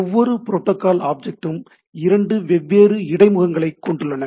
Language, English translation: Tamil, Each protocol object has two different interface